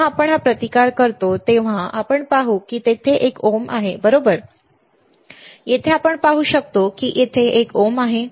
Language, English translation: Marathi, We will see when we have this resistance you see there is a ohms, right, here we can see there is a symbol ohm